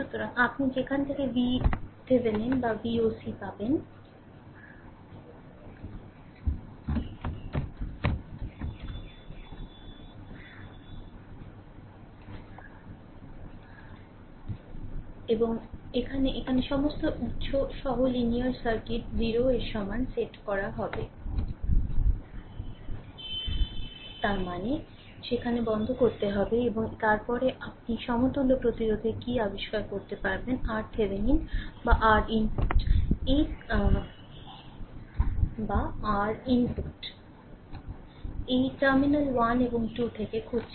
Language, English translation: Bengali, So, you from where you will get V Thevenin or V oc and here, linear circuit with all independent sources set equal to 0; that means, there have to be turned off and after that, you find out what is your equivalent resistance R Thevenin right or R input; this looking from terminal 1 and 2 right